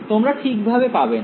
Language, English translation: Bengali, You will not get right